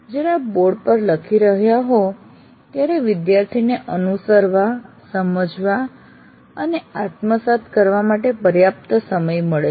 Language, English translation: Gujarati, While you are writing on the board, the student has enough time to follow, understand, and internalize